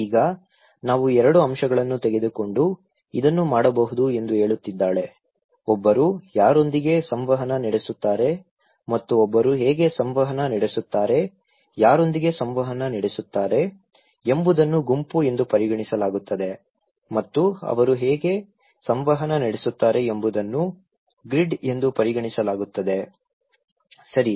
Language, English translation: Kannada, Now, she is saying that we can do this by taking 2 elements; one is whom one interact and how one interact with so, whom one interact is considered to be group and how they interact is considered to be grid, okay